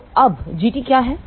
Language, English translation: Hindi, So, what is G t now